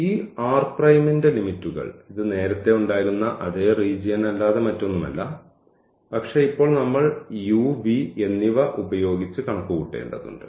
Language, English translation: Malayalam, And then these limits of this R prime, it is nothing but the same region, but now we have to compute over u and v